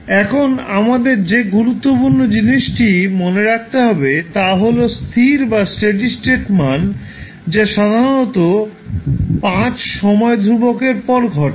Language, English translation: Bengali, Now, the important thing which we have to remember is that at steady state value that typically occurs after 5 time constants